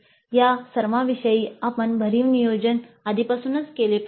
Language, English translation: Marathi, Regarding all these, we need to do substantial planning well in advance